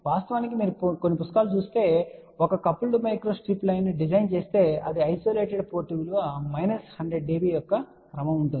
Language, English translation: Telugu, In fact, if you read some of the books they do mention that if you design a coupled micro strip line this is the isolated port value may be of the order of 100 minus db and so on